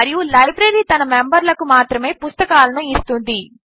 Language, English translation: Telugu, And the library issues books to its members only